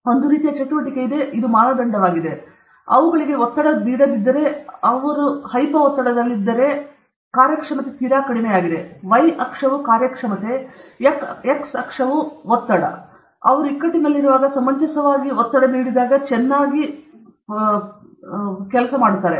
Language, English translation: Kannada, I mean, there is some sort of a activity and this was benchmark, and now they figured out that if they are not stressed at all, if they are in hypo stress, then the performance is very low; the y axis is performance, the x axis is pressure; when they are in eustress, when they are reasonably stressed, they did very well okay